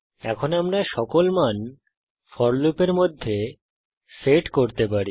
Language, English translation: Bengali, In fact now we can set all the values inside the for loop